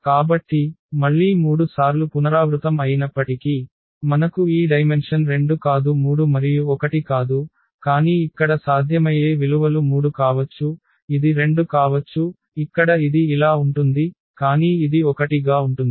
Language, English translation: Telugu, So, again though it was repeated 3 times, but we got only this dimension as 2 not 3 and not 1, but the possible values here could be 3, it could be 2 as this is the case here, but it can be 1 as well